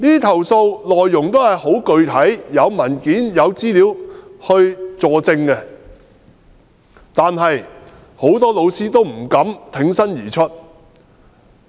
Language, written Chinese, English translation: Cantonese, 投訴內容很具體，有文件和資料佐證，但很多老師不敢挺身而出。, The complaints are very specific and they are supported with documentation and information . However many teachers dare not bravely make a complaint